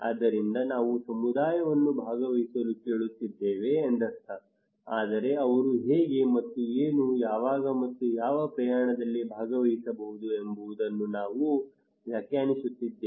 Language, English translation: Kannada, So it means that we are asking community to participate, but we are defining that how and what, when and what extent they can participate